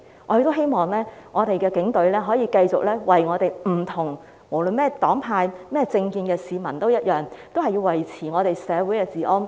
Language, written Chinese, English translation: Cantonese, 我希望警隊可以繼續為不同黨派和政見的市民服務，維持社會治安。, It is my hope that the Police Force can continue to serve members of the public of various parties and camps holding different political views and to maintain social order